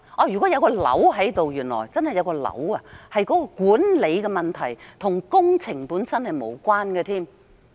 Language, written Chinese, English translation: Cantonese, 如果原來真的有腫瘤，是管理上的問題，便與工程本身根本無關。, If it turns out that there is a tumour ie . a management problem then it has nothing to do with the works